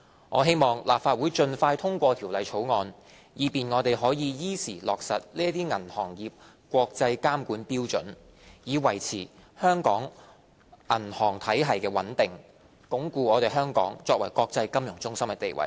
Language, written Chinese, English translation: Cantonese, 我希望立法會盡快通過《條例草案》，以便我們可以依時落實這些銀行業國際監管標準，以維持香港銀行體系的穩定，鞏固香港作為國際金融中心的地位。, I hope that the Legislative Council will pass the Bill as soon as possible so that we can implement these international standards on banking regulation on time so as to maintain the stability of our banking system and consolidate Hong Kongs position as an international financial centre